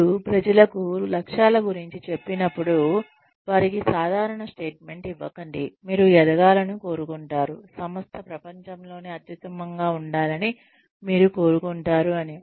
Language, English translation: Telugu, Whenever, you tell people, about the objectives, do not give them general statements like, you would like to grow, you would like the company to be the best in the world